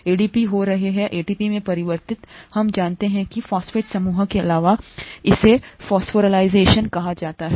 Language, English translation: Hindi, ADP getting converted to ATP we know is by addition of a phosphate group, it is called phosphorylation